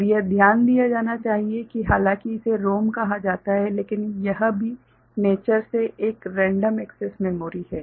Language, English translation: Hindi, And to be noted that though this called ROM it is also a random access memory by nature ok